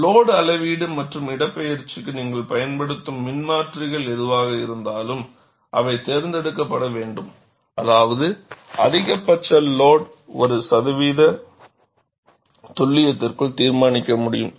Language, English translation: Tamil, And, whatever the transducers that you use for measurement of load, as well as the displacement, they are to be selected such that, maximum load can be determined within 1 percent accuracy